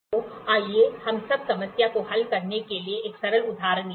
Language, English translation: Hindi, So, let us take a simple example here to solve the problem